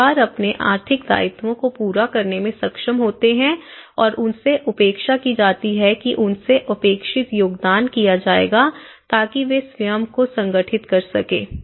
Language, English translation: Hindi, Families able to meet their economic obligations and they are expected to as they will be expected to make a hefty contribution so in that way they have been organizing themselves